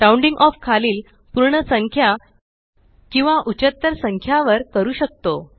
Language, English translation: Marathi, Rounding off, can also be done to either the lower whole number or the higher number